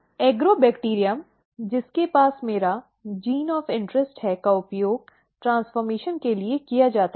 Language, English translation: Hindi, The Agrobacterium which is having my gene of interest is used for a transformation